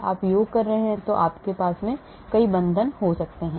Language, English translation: Hindi, You are doing summation because there could be many bonds